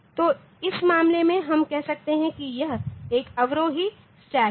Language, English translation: Hindi, So, this will be called an ascending stack